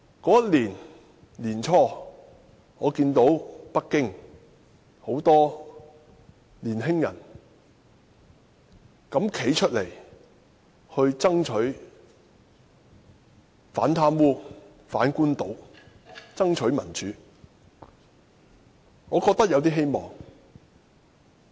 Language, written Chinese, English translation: Cantonese, 那年年初，我看到北京很多年青人敢膽站出來，反貪污、反官倒、爭取民主，我覺得有點希望。, At the beginning of that year I felt hopeful when I saw young people daring to come forth in Beijing to protest against corruption and official profiteering